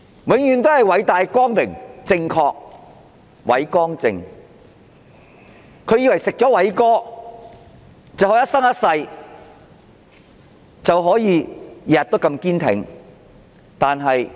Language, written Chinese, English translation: Cantonese, 永遠也是偉大、光榮、正確的"偉光正"，他們以為吃了"偉哥"，便可以一生一世、天天如此堅挺嗎？, It is always noble glorious and correct . Do they really think that they have taken Viagra and can remain stiff and strong forever?